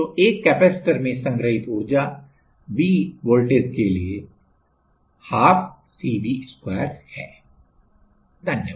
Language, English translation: Hindi, So, the energy stored in a capacitor while it is just to the potential V is 1/2 CV^2